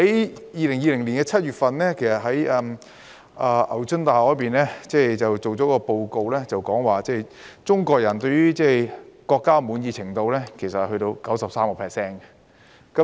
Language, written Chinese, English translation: Cantonese, 在2020年7月，牛津大學發表一份報告，指中國人對於國家的滿意程度達 93%。, According to a report published by the University of Oxford in July 2020 93 % of the Chinese are satisfied with the country